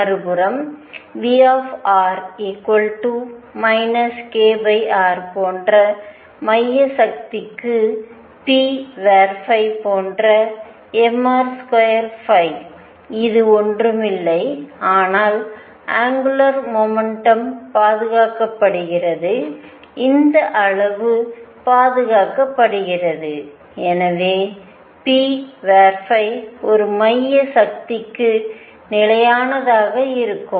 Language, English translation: Tamil, On the other hand, for central force like V r equals minus k over r, p phi which is m r square phi dot which is nothing, but the angular momentum is conserved this quantity is conserved and therefore, p phi is going to be constant for a central force